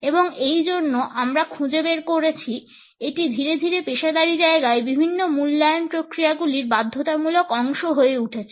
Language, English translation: Bengali, And, that is why we find that gradually it became a compulsory part of different evaluation processes in professional settings